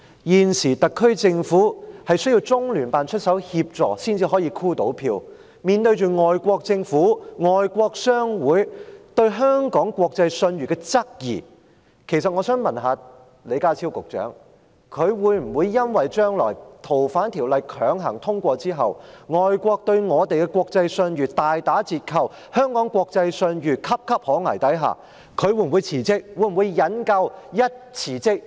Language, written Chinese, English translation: Cantonese, 現時特區政府需要中聯辦出手協助才能夠"箍票"，面對着外國政府、外國商會對香港國際信譽的質疑，其實我想問李家超局長，如果《條例草案》被強行通過之後，將來外國對香港的國際信譽大打折扣，在香港國際信譽岌岌可危的情況下，他會否因此辭職？, At present the HKSAR Government can only secure enough votes with the help of the Liaison Office . Facing the queries from foreign governments and foreign chambers of commerce on Hong Kongs international reputation I actually want to ask Secretary John LEE whether he will resign if Hong Kongs reputation is sinking fast internationally and Hong Kongs international reputation is in a precarious situation following the forcible passage of the Bill